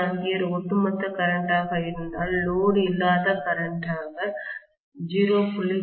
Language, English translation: Tamil, 3 A as the overall current as the no load current I may have 0